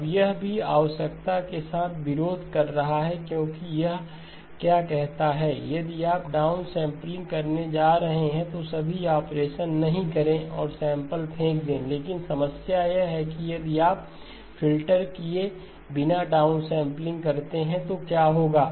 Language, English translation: Hindi, Now this one also is conflicting with the requirement because what does it say if you are going to do down sampling do not do all the operations and throw away samples, but the problem is if you do the down sampling without doing the filtering then what will happen